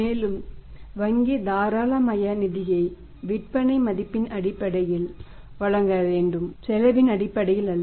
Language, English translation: Tamil, And bank should provide the liberal finance on the basis of the sales value rather than the cost